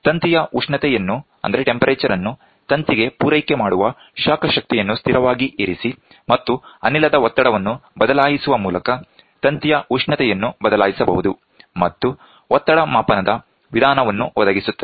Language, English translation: Kannada, The temperature of the wire can be altered by keeping the heating energy supplied to the wire constant, and varying the pressure of the gas; thus providing the method of pressure measurement